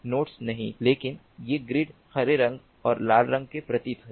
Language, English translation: Hindi, great, not nodes, but these grid colors, ah, green colored and red colored symbols